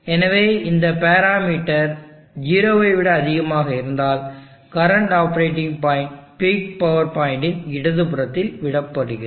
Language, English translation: Tamil, So if this parameter is greater than 0, then the current operating point is left to the left of the peak power point